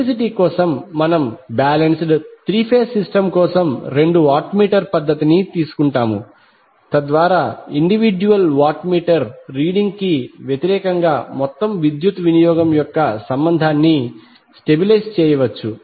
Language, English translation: Telugu, For simplicity we will take the two watt meter method for a balanced three phase system so that we can stabilize the relationship of the total power consumption versus the individual watt meter reading